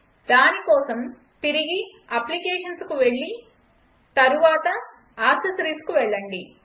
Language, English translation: Telugu, For that go back to Applications and then go to Accessories